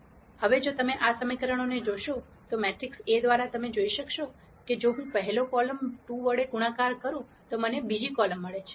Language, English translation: Gujarati, Now if you notice these equations, through the matrix A you will see that, if I multiply the first column by 2 I get the second column